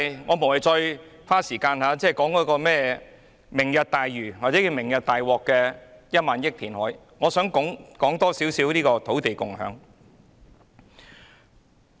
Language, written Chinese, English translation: Cantonese, 我無謂再花時間談論"明日大嶼"的1萬億元填海工程，我想談談"土地共享"。, There is no point for me to spend more time to discuss the 1,000 billion reclamation project under Lantau Tomorrow . Instead I would like to talk about land sharing